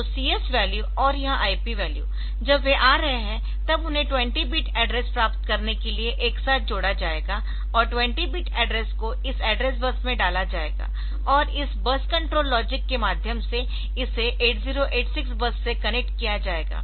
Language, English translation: Hindi, So, so CS value and this IP value when they are coming then that will be combined together to get 20 bit address and that 20 bit address will be put onto this address data on the this address bus and through this bus control logic